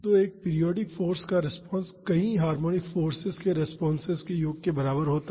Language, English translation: Hindi, So, the response to a periodic force is equal to sum of the responses to many harmonic forces